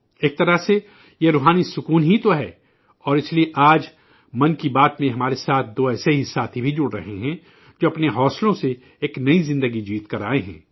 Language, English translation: Urdu, In a way, it is just 'Swant Sukhay', joy to one's own soul and that is why today in "Mann Ki Baat" two such friends are also joining us who have won a new life through their zeal